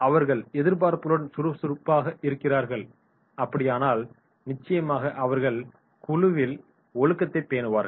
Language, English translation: Tamil, They are active with expectations, and if it is so then definitely in that case they will be maintaining the discipline in the group